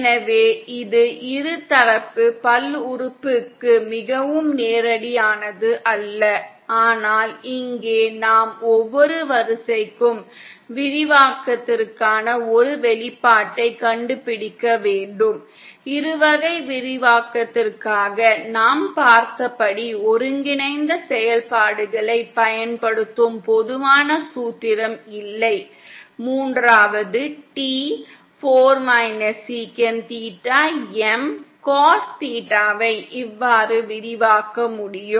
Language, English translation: Tamil, So it is not, so straightforward as that for the binomial, polynomial but here we have to find an expression for expansion for each and every order itself, there is no general formula using the combinatorial functions as we saw for the binomial expansion, the third T 4 sec theta M cos theta can be expanded like this